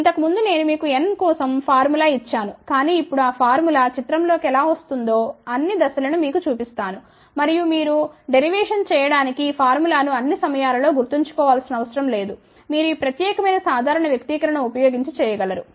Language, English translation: Telugu, Earlier I had given you the formula for n , but now will show you all the steps how that formula comes into picture and you need not remember the formula all the time you can use this particular simple expression to do the derivation